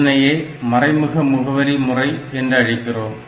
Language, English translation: Tamil, So, this is called indirect addressing